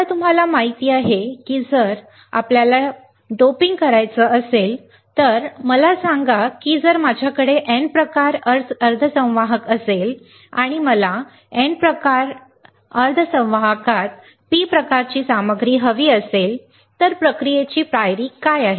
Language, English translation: Marathi, Now, you guys know if I want to dope, let us say if I have a N type semiconductor and I want to have a P type material in N type semiconductor right what is a process step